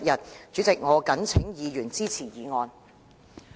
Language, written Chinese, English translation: Cantonese, 代理主席，我謹請議員支持議案。, Deputy President I urge Members to support this motion